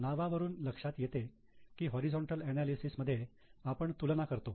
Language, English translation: Marathi, Now as the name suggests in horizontal analysis we compare